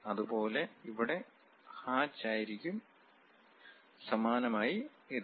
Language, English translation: Malayalam, Similarly here hatch and similarly this one